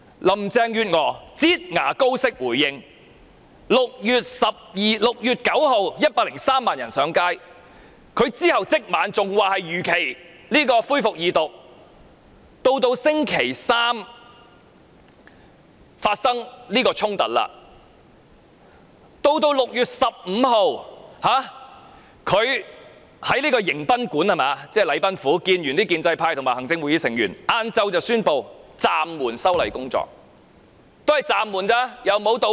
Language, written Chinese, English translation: Cantonese, 林鄭月娥"擠牙膏"式回應 ，6 月9日有103萬人上街，她在當晚竟然仍說修訂法案會如期恢復二讀，到星期三發生警民衝突，她在6月15日才在"迎賓館"與建制派及行政會議成員見面，再到下午才宣布暫緩修例工作，但也只是暫緩，亦沒有道歉。, On the night of 9 June after 1.03 million people had taken to the streets she still said the Second Reading debate on the amendment bill would go ahead as scheduled . After the outbreak of confrontation between the Police and the public on Wednesday she met with pro - establishment Members and Members of the Executive Council on 15 June at the guest house ie . the Government House and announced after the meeting the suspension of the legislative amendment exercise; mind you she only announced the suspension without rendering any apology